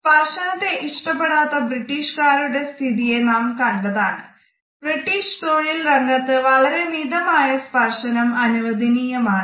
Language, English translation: Malayalam, We have already looked at the situation of the British people who do not prefer touch and we find that in the British corporate setting very small amount of touch is permissible